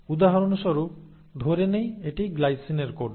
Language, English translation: Bengali, The same, let us say this codes for glycine, for example